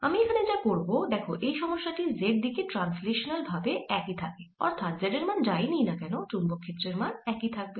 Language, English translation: Bengali, what i'll do in this problem is, since this is translationally invariant in the z direction, no matter at what value of z i calculate, the magnetic field is going to be the same